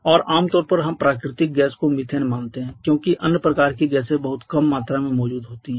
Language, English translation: Hindi, And commonly we assume natural gas to be methane because other quantities or other kind of gases are present in very small quantities is primarily methane only